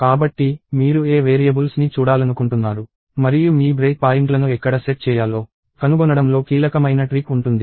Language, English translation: Telugu, So, the key trick will be in finding out what variables you want to watch and where to set your break points